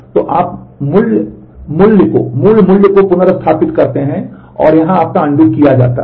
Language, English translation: Hindi, So, you restore the original value and your undo is done here